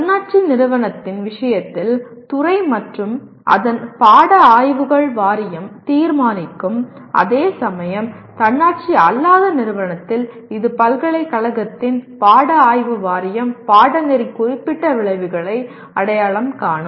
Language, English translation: Tamil, That is in the case of autonomous institution it is the department and its board of studies will decide whereas in non autonomous institution it is the Board of Studies of the university identify the Program Specific Outcomes